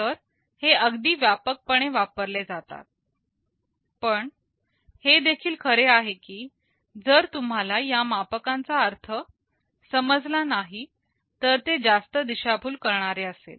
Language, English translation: Marathi, These are quite widely used, but it is also true that if you do not understand the meaning of these metrics they can be the most misleading